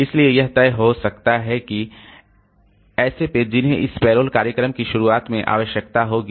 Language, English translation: Hindi, So, it may decide that, decide that these are the pages that this payroll program will need at the beginning